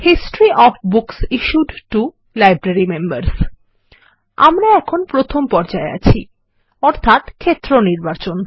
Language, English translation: Bengali, History of books issued to the Library members We are in Step 1 Field Selection